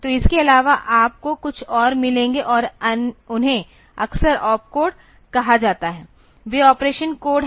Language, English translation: Hindi, So, apart from that you will find some more and they are often called op codes there they are the operation codes